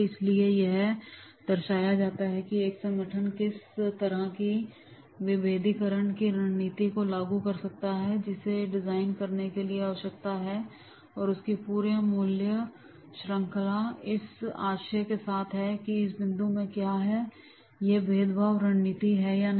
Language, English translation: Hindi, It illustrates how an organization implementing a strategy of differentiation needs to design its entire value chain with the intent to be outstanding in every value activity that it performs